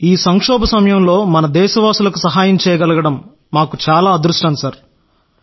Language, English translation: Telugu, Sir we are fortunate to be able to help our countrymen at this moment of crisis